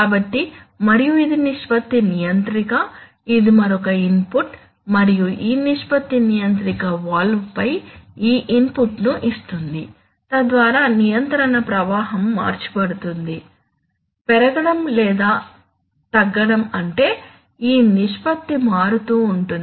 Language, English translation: Telugu, So, and this is the ratio controller so this is another input, this is another input and this ratio controller gives this input on the valve, so that the control stream is changed, increased or decreased such that this ratio will keep changing